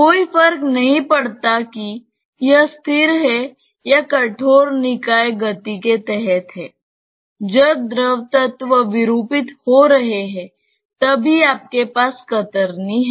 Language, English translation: Hindi, No matter whether it is at rest or under rigid body motion; when the fluid elements are deforming, then only you have the shear